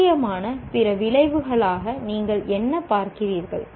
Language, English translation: Tamil, What do you see as other possible outcomes